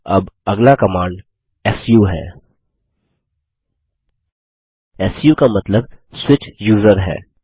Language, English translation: Hindi, Now the next command is the su command su stands for Switch User